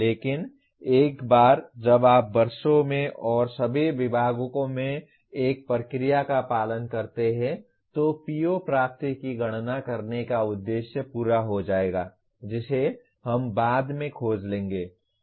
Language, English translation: Hindi, But once you follow one process over years and across all departments, the purpose of computing PO attainment will be served which we will explore later